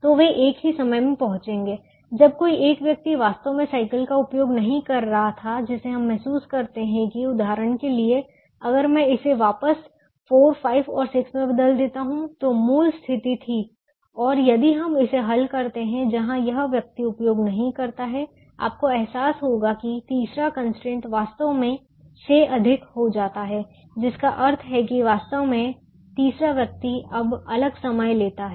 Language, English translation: Hindi, in the other one, when some one person was actually not using the bicycle, we realise that, for example, if i change this batch to four, five and six, which was the original situation and if we solve the where is person does not use, you would realise that the third constraint is actually a greater than becomes